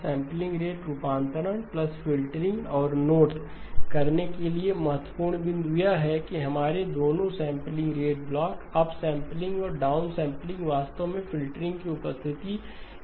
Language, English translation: Hindi, Sampling rate conversion plus filtering and the important point to note is that both of our sampling rate blocks, upsampling and downsampling actually are useful with the presence of the filtering